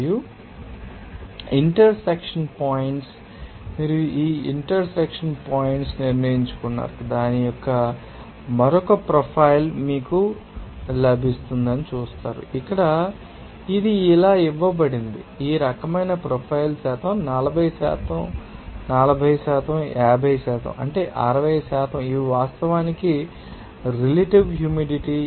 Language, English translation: Telugu, And what would be the intersection points, you just decided this intersection point you will see you will get another profile of that, you know here it is given like you know that this type of profile like you know the percent is 40% is 50% is 60% is these are actually relative humidity